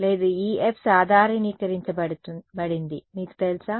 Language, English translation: Telugu, No, this F is normalized you know